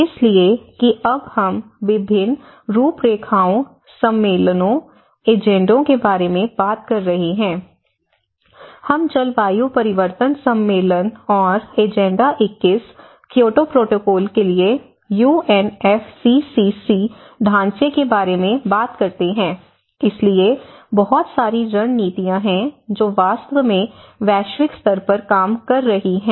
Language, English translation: Hindi, So that is where we are now talking about various frameworks, various conventions, various agendas, we talk about UNFCCC framework for climate change convention and agenda 21, Kyoto protocol, so there are a lot of strategies which is actually working out as a global level as well